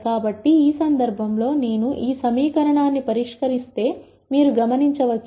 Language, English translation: Telugu, So, in this case you notice that if I solve this equation